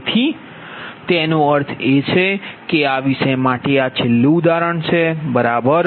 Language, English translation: Gujarati, so that means that and for this topic this is the last example, right